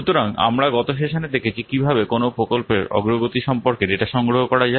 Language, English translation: Bengali, So we have seen last class how to collect the data about the progress of a project